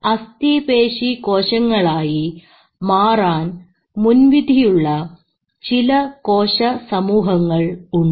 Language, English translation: Malayalam, So there are certain cells which are predestined to become skeletal muscle, right